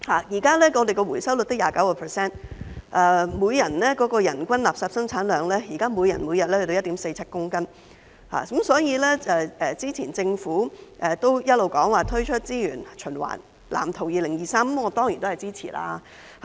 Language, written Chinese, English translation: Cantonese, 現時的回收率只有 29%， 人均垃圾生產量，現在每天達 1.47 公斤，所以對於政府早前表示會推出《香港資源循環藍圖2035》，我當然支持。, At present the recovery rate is only 29 % and the per capita waste disposal rate per day is 1.47 kg . As such I will definitely support the Governments proposal to launch the Waste Blueprint for Hong Kong 2035 put forth earlier